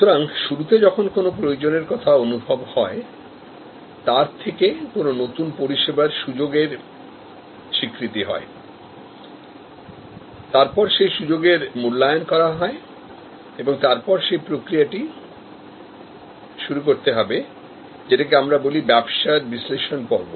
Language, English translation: Bengali, But, initially therefore, when a need is felt, an opportunity is recognized, the opportunity is evaluated, we start the process, which we called the business analysis phase